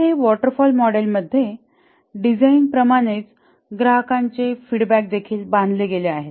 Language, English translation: Marathi, So, this is like a waterfall model, design, build, install customer feedback